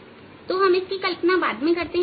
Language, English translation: Hindi, so we will use this assumption later on